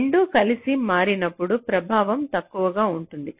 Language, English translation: Telugu, so when both are switching together the effect is the least